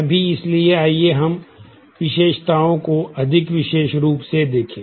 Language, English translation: Hindi, Now; so, let us look at attributes more specifically